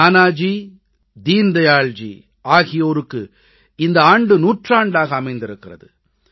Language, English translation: Tamil, This is the centenary year of Nanaji and Deen Dayal ji